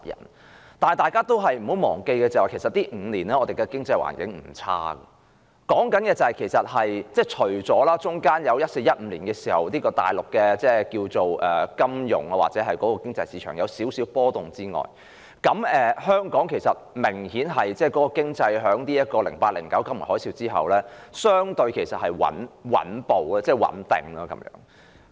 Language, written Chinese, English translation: Cantonese, 可是，大家不要忘記，這5年來，我們的經濟環境並不壞，除了在2014年及2015年，內地的金融市場或經濟有少許波動外，相對於2008年至2009年剛爆發金融海嘯的一段期間，本港的經濟已較穩定。, However we should not forget that our economic situation has not been bad in the past five years . Apart from the slight fluctuations in the Mainlands financial markets or economy in 2014 and 2015 our economy has been relatively more stable as compared with the situation during the period from 2008 to 2009 when the financial tsunami had just broken out